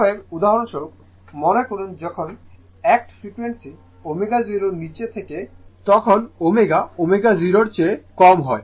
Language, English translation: Bengali, Therefore, for example suppose, when you are act frequency is below omega 0 that is when omega less than omega 0 right